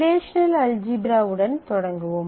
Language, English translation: Tamil, So, we start with the relational algebra in the relational algebra